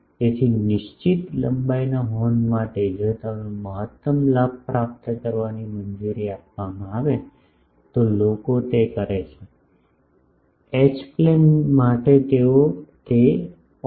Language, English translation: Gujarati, So, for a fixed length horn, if I am allowed to do maximum gain thing, then people do that for H plane they suffer that 0